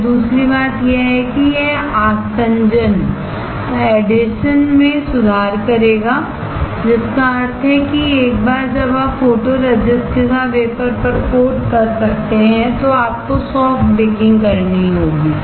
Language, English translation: Hindi, Then the second thing is that it will improve the adhesion; which means that once you coat on the wafer with the photoresist, you have to perform soft baking